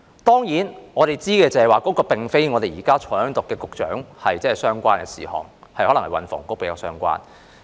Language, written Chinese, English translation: Cantonese, 當然，我們知道，這並非與現時在席的局長相關的事項，可能與運輸及房屋局比較相關。, Certainly we know this has nothing to do with the Secretary who is now present but probably more related to the Transport and Housing Bureau